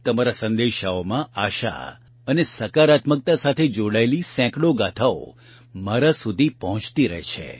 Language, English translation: Gujarati, Hundreds of stories related to hope and positivity keep reaching me in your messages